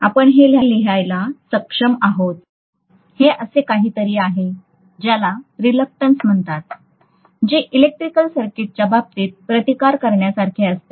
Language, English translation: Marathi, So this is essentially something called reluctance which is equivalent to the resistance in the case of an electric circuit